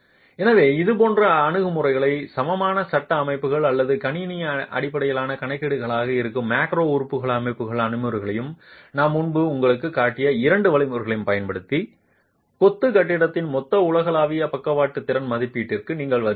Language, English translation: Tamil, So, using such approaches and the two methods that I showed you earlier, the equivalent frame modeling or the macro element modeling approaches which are computer based calculations, you arrive at the total, the global lateral capacity estimate of the masonry building